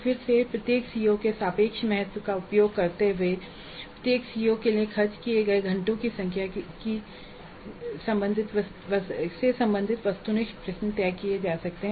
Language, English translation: Hindi, Again using the relative importance of each CO, the relative number of hours spent for each COO, the number of objective questions belonging to a COO can be decided